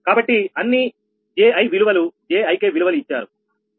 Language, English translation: Telugu, so all all zi value, all zi value z ik values are given